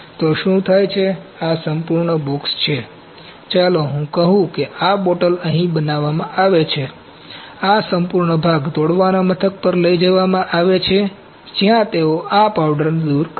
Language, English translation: Gujarati, So, what happens this is this complete box, let me say this bottle is manufactured here, this complete part is taken to the breakout station where they will remove this powder ok